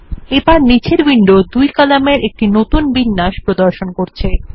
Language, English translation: Bengali, Again the window below has refreshed to show a two column layout